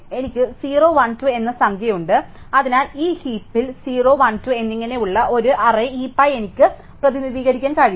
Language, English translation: Malayalam, So, I have a numbering 0, 1, 2, so I can actually represent this heap as an arrays heap which has this is 0, 1, 2 and so on